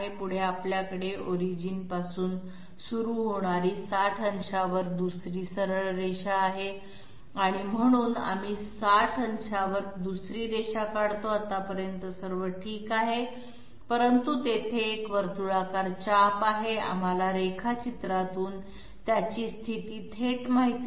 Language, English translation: Marathi, Next we have another straight line at 60 degrees starting from the origin, so we draw another line at 60 degrees so far so good, but there is a circular arc here, we do not know its position directly from the drawing